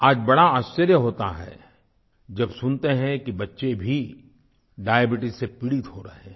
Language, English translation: Hindi, It is indeed surprising today, when we hear that children are suffering from diabetes